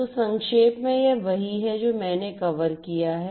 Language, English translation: Hindi, So, in a nutshell this is what I have you know covered